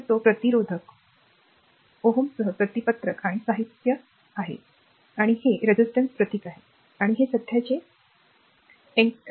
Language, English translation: Marathi, So, it is circular and material with resistivity rho, and this is the symbol of the resistance and these the current entering, it is the plus minus right